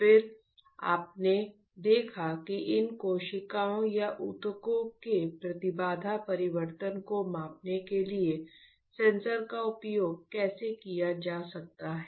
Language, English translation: Hindi, Then you have seen that how the sensor can be used to measure the impedance change of these cells or of the tissues